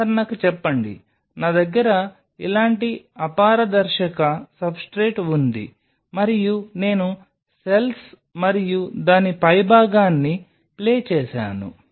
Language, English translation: Telugu, Say for example, I have an opaque substrate like this, and I played the cells and top of it